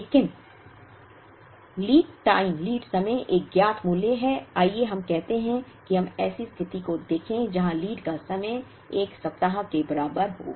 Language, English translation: Hindi, But, lead time is a known value say, let us say let us look at a situation where lead time is equal to 1 week